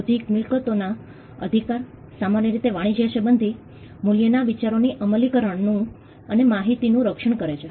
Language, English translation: Gujarati, Intellectual property rights generally protect applications of idea and information that are of commercial value